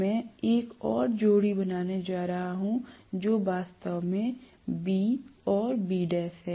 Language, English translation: Hindi, I am going to have one more pair which is actually B and B dash